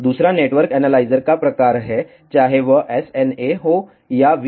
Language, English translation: Hindi, Second is the type of the network analyzer weather it is a SNA or a VNA